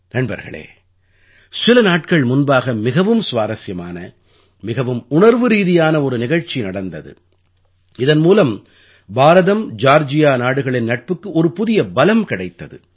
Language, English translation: Tamil, Friends, a few days back a very interesting and very emotional event occurred, which imparted new strength to IndiaGeorgia friendship